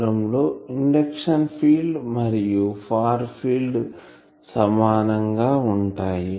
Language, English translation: Telugu, So, this is induction field, this is far field